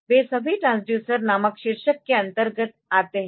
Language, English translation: Hindi, So, they all they all come under the heading called transducers